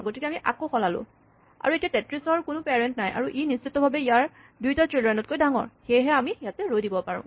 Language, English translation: Assamese, So, we swap it again and now 33 has no parents and it is definitely bigger than it is 2 children